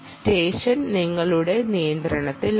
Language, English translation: Malayalam, session is in your control